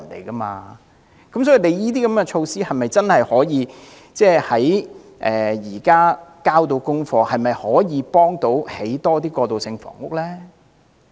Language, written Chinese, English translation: Cantonese, 政府推出這類措施，是否真的可以"交到功課"，推動興建更多過渡性房屋？, Can the Government really deliver its pledge of promoting the construction of more transitional housing by such measures?